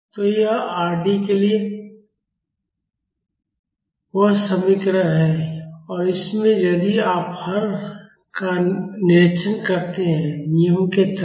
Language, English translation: Hindi, So, this is the expression for Rd and in this if you observe the denominator, the terms under the rule